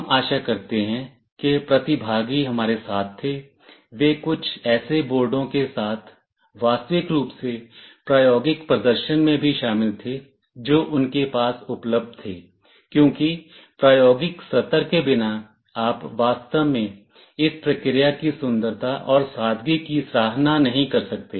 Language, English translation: Hindi, We hope that the participants were with us, they were also involved in actual hands on demonstration with some of the boards that were available to them, because without hands on sessions, you really cannot appreciate the beauty and simplicity of this process